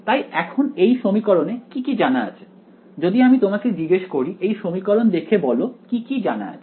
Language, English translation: Bengali, So, now, in these in these equations what is known if I ask you looking at these equations what all is known